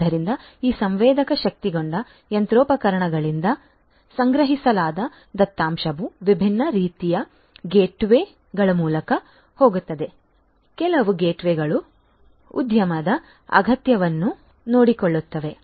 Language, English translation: Kannada, So, the data that are collected from these sensor enabled machinery are going to go through different types of gateways; different types of gateways, some gateways will take care of the enterprise requirement